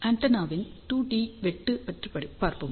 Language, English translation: Tamil, So, let us look at 2 D cut of the antenna